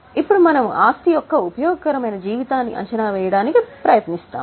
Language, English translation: Telugu, Then we try to estimate the useful life of the asset